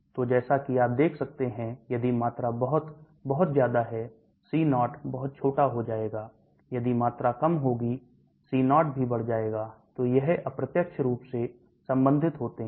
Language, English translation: Hindi, So as you can see, if the volume is a very, very large, C0 will become very small, if the volume is small C0 also become large, so they are indirectly related